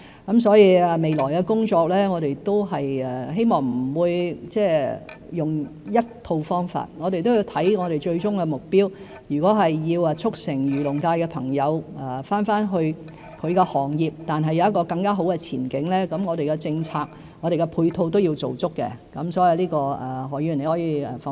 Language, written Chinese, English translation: Cantonese, 我們希望未來的工作不會只用一套方法，我們要看最終目標，如果要促成漁農界的朋友回到本身的行業而有更好的前景，我們的政策、配套也要做足，這方面何議員可以放心。, We hope that in the future we will not stick to one set of methods in our work but focus on the ultimate goal . If we are to help members of the agriculture and fisheries sector return to their own industry and have better prospects we must make efforts to introduce policies and supporting measures for them